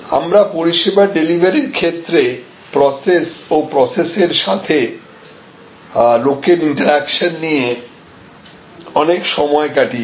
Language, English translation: Bengali, We spent a lot of time on service delivery system in terms of both process and process people interaction